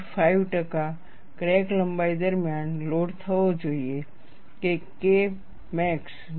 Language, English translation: Gujarati, 5 percent of crack length should be loaded such that, K max is less than 0